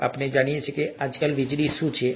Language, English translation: Gujarati, And we all know what electricity is nowadays